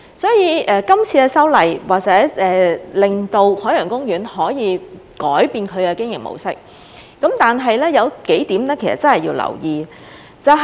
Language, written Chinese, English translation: Cantonese, 所以，這次修例或者可以令海洋公園改變它的經營模式，但是，有幾點必須留意。, In this connection the legislative amendments proposed now may perhaps enable OP to change its mode of operation but there are a few points that merit attention